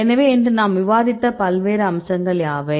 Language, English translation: Tamil, So, what are the various aspects we discussed today